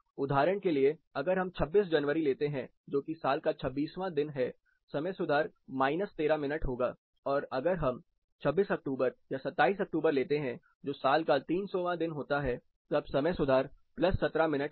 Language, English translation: Hindi, For example, if you take 26th January, it comes somewhere here 26th day of the year, the time correction will be minus 13 minutes, if you take 26th October or 27th October which is somewhere around the 300th day of the year, the time correction will be plus 17 minutes